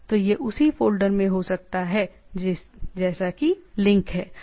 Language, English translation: Hindi, So, it can be in the same folder the link is there